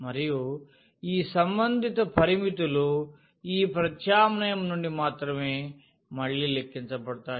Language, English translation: Telugu, And these corresponding limits will be computed again from this substitution only